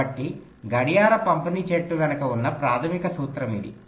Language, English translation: Telugu, so this is the basic principle behind clock distribution tree